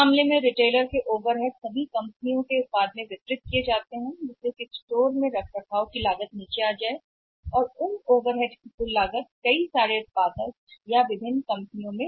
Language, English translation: Hindi, In that case the retailers overheads are distributed to the many companies so cost of maintaining the store comes down and those over heads or the cost of those overheads can be passed onto the many manufacturers or different companies